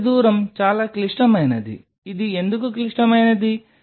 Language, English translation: Telugu, This working distance is critical why this is critical